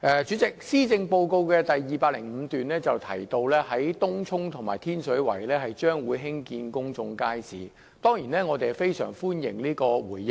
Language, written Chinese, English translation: Cantonese, 主席，施政報告第205段提到東涌和天水圍將會興建公眾街市，我們當然非常歡迎政府這個回應。, President it is stated in paragraph 205 of the Policy Address that public markets will be built in Tung Chung and Tin Shui Wai . Certainly we welcome this response from the Government